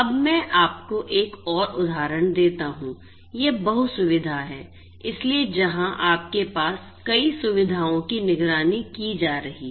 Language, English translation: Hindi, Let me now give you another example, this is the multi facility so, where you have multiple facilities being monitored right